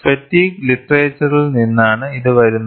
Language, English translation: Malayalam, This comes from the fatigue literature